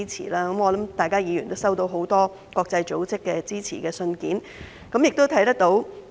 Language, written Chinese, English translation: Cantonese, 我相信各位議員都收到很多國際組織的支持信件，情況有目共睹。, I believe Members have received many letters of support from these international organizations . The response is obvious to all